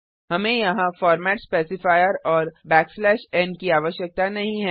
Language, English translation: Hindi, We dont need the format specifier and \n here